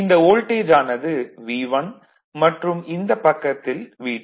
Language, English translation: Tamil, This voltage V 1, this voltage is V 2